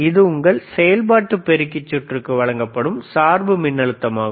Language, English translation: Tamil, That is your bias voltage given to your operational amplifier circuit;